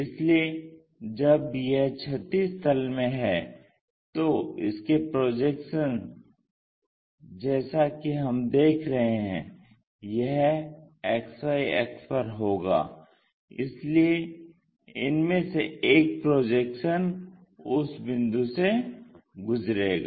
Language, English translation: Hindi, So, when it is in horizontal plane, the projections, if we are seeing that, it will be on XY axis, so one of these projections has to pass through that point